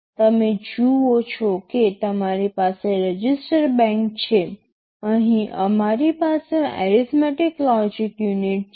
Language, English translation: Gujarati, You see you have all the registers say register bank, here we have the arithmetic logic unit